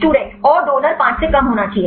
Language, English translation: Hindi, And donor should be less than 5